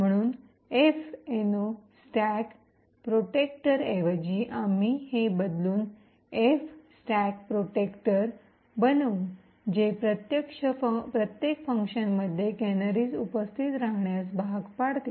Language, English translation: Marathi, So instead of minus F no stack protector we would change this to minus F stack protector which forces that canaries be present in every function